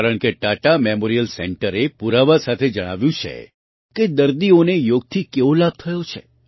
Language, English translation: Gujarati, Because, Tata Memorial center has conveyed with evidence how patients have benefited from Yoga